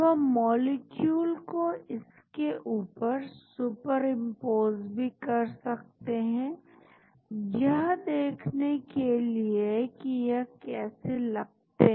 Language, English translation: Hindi, Now, we can super impose the molecule on this also to see how they look like